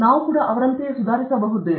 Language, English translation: Kannada, Can we also improve